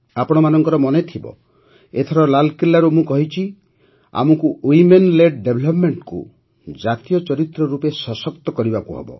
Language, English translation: Odia, You might remember this time I have expressed from Red Fort that we have to strengthen Women Led Development as a national character